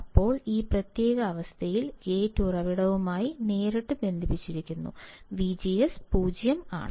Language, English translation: Malayalam, And then, right now in this particular condition, the gate is directly connected to source; that means, that V G S, V G S is 0